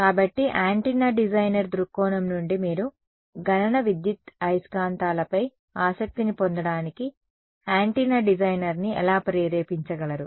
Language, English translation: Telugu, So, from an antenna designer point of view why would, how can you motivate an antenna designer to get interested in computational electromagnetics